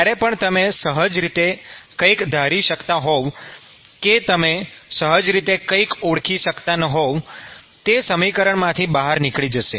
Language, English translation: Gujarati, So, whatever you would intuitively guess or whatever you would intuitively identify is something that will fall out from the equation